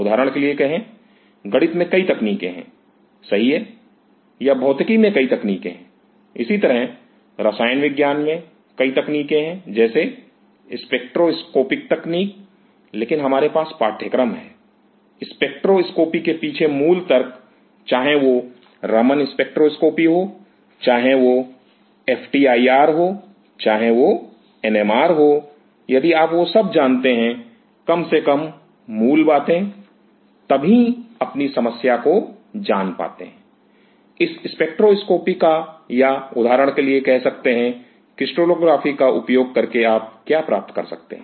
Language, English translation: Hindi, Say for example, in mathematics there are several techniques, right or in physics there are several techniques, similarly in chemistry, there are several techniques say spectroscopic technique, but we have course; the basic logics behind the spectroscopy; whether it is a Raman spectroscopy, whether it is a FTIR, whether it is a NMR, if you know those; at least the basics, then you know with your problem, what all you can derive using this spectroscopy or say for example, crystallography